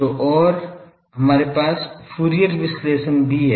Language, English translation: Hindi, So, and also we have Fourier analysis